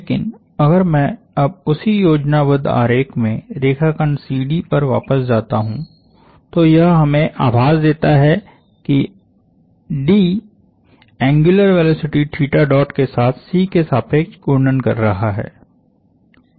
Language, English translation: Hindi, But if I now go back to the line segment CD in the same schematic, it gives us the impression that D is rotating about C with an angular velocity theta dot